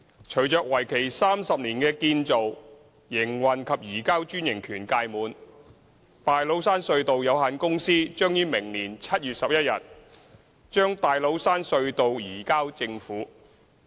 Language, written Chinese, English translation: Cantonese, 隨着為期30年的"建造、營運及移交"專營權屆滿，大老山隧道有限公司將於明年7月11日把大老山隧道移交政府。, Upon the expiry of its 30 - year Build - Operate - Transfer BOT franchise on 11 July next year the Tates Cairn Tunnel Company Limited will hand over the Tates Cairn Tunnel TCT to the Government